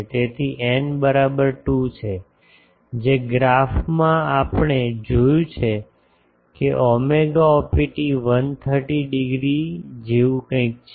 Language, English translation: Gujarati, So, for n is equal to 2, from the graph we have seen psi opt is something like 130 degree